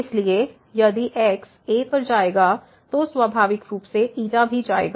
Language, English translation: Hindi, So, if we goes to a naturally the will also go to